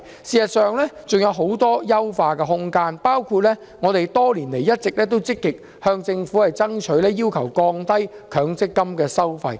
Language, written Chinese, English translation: Cantonese, 事實上，強積金還有很大的優化空間，包括我們多年來一直積極向政府爭取的降低強積金收費。, In fact MPF still has a lot of room for improvement such as the reduction of fees for MPF schemes something which we have been urging the Government to do over the years